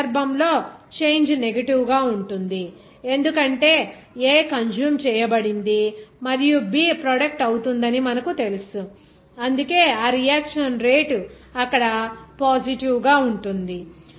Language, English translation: Telugu, In this case, the change will be negative because you know that the A consumed whereas B is generated, that is why this rate of reaction will be positive there